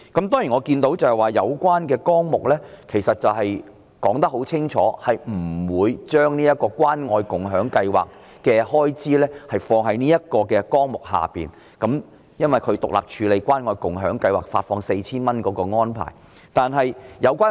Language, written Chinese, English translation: Cantonese, 當然，我看到有關的綱領很清楚地指出不會把關愛共享計劃的開支放在這個綱領下，因為關愛共享計劃發放 4,000 元的安排是獨立處理的。, Of course I can see it is pointed out clearly in the relevant programme that the expenditure on the Caring and Sharing Scheme does not fall under this programme because the Caring and Sharing Scheme for issuing 4,000 is dealt with independently